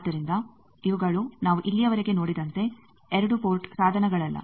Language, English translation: Kannada, So, these are no more 2 port devices as we have seen till now